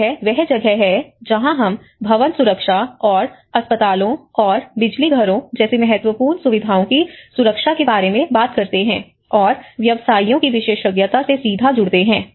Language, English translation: Hindi, That is where we talk about the building safety and the protection of critical facilities such as hospitals and power stations and draws directly from the expertise of the practitioners